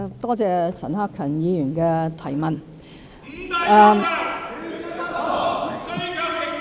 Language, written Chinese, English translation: Cantonese, 多謝陳克勤議員的提問。, I thank Mr CHAN Hak - kan for his question